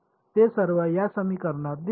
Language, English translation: Marathi, They all appear in this equation